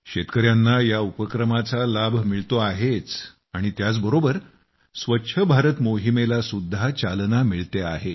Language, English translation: Marathi, Not only farmers are accruing benefit from this scheme but it has also imparted renewed vigour to the Swachh Bharat Abhiyan